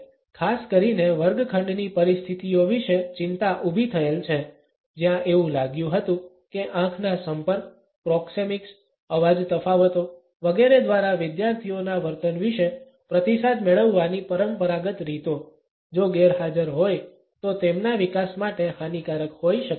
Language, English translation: Gujarati, However, concerns have been raised particularly about the classroom situations, where it was felt that the traditional ways of receiving of feedback about the behaviour of the students through eye contact, proxemics, voice differences etcetera; if absent may be detrimental to their development